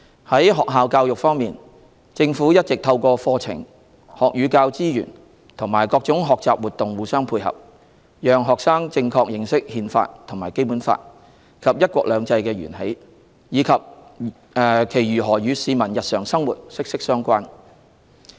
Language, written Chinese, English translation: Cantonese, 在學校教育方面，政府一直透過課程、學與教資源和各種學習活動互相配合，讓學生正確認識《憲法》、《基本法》及"一國兩制"的源起，以及其如何與市民日常生活息息相關。, For school education the Government has all along been helping students develop a correct understanding of the Constitution and the Basic Law the origin of the principle of one country two systems and their relevance to the daily lives of the people of Hong Kong through relevant curricula learning and teaching resources and various learning activities